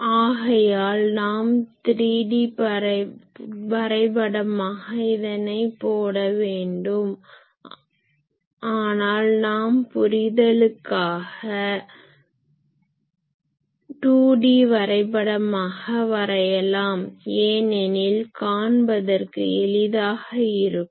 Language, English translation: Tamil, So, that will be a 3D plot now we can do, but a better we will for our understanding it is better to put the 2D plots because that is easy to visualize